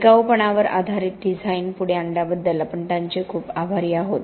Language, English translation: Marathi, And we are very grateful to him for pushing durability based design